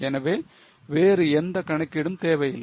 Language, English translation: Tamil, So, there is no other need of any calculation